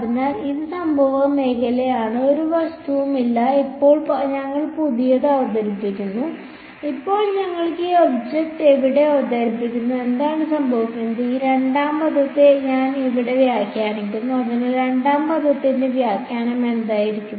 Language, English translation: Malayalam, So, this is the incident field no object, now we introduce a new; now we introduce this object over here, what happens is I interpret this second term over here as so what should the interpretation of the second term